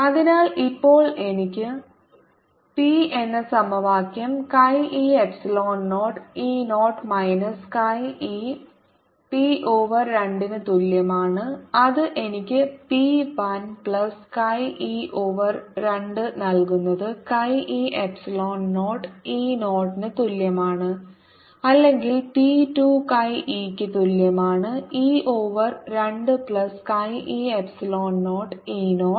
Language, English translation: Malayalam, so the equation now i have is: p is equal to chi e epsilon zero, e zero minus chi e p over two, and that gives me p one plus chi e over two is equal to chi e epsilon zero e zero